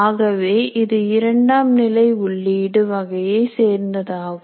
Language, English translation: Tamil, So it is a second order input kind of thing